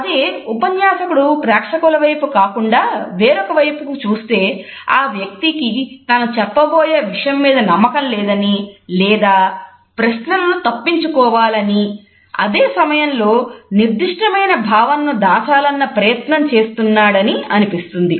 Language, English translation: Telugu, However, if the speaker looks away from the audience, it suggests that either the person does not have confidence in the content or wants to avoid further questioning or at the same time may try to hide certain feeling